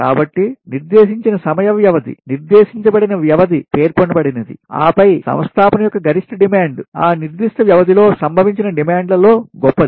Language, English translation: Telugu, so, specified period of time, specified time is appeared, is specified, and then maximum demand of an installation is that greatest of the demands which have occurred during that specified period of time